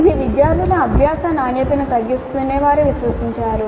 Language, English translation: Telugu, They believed that this would reduce the quality of learning by students